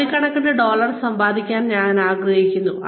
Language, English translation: Malayalam, I would like to make crores of dollars